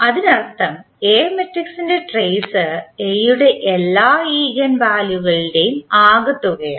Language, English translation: Malayalam, That means the trace of A matrix is the sum of all the eigenvalues of A